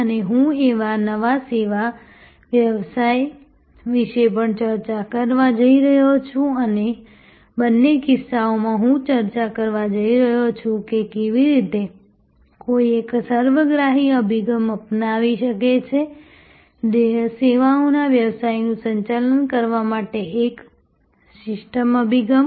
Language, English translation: Gujarati, And I am also going to discuss about a new service business and in both cases, I am going to discuss, how one can take a holistic approach, a systems approach to managing the services business